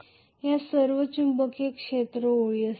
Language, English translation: Marathi, This is all the magnetic field lines will be